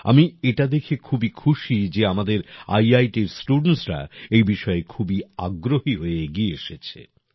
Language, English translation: Bengali, I loved seeing this; our IIT's students have also taken over its command